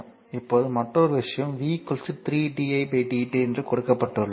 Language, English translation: Tamil, Now also another thing is given that v is equal to 3 di by dt